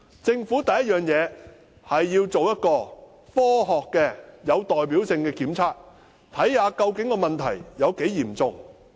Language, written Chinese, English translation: Cantonese, 政府首先要做一個科學且有代表性的檢測，看看問題究竟有多嚴重。, First the Government must conduct a scientific and representative test to identify how serious the problem is